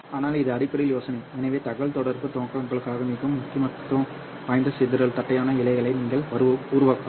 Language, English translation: Tamil, So you can create dispersion flattened fibers which are extremely important for communication purposes